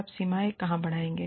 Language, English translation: Hindi, Where do you draw the line